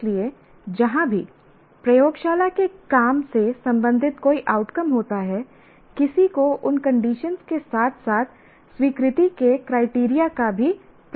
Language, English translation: Hindi, So, wherever there is a laboratory work is involved, a outcome related to laboratory work is there, one should attempt to have those conditions as well as criteria of acceptance